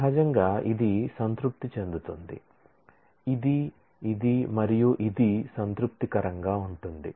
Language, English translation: Telugu, Naturally, this will satisfy, this will satisfy, this will satisfy, this will satisfy